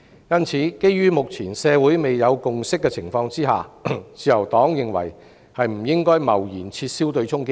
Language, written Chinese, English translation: Cantonese, 因此，基於目前社會未有共識，自由黨認為不應該貿然撤銷對沖機制。, Therefore in the absence of a consensus in society the Liberal Party considers that the offsetting mechanism should not be hastily abolished